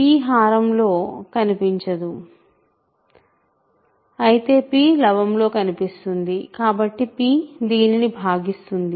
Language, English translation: Telugu, So, p does not appear in the denominator whereas, p appears in the numerator so that means, p divides this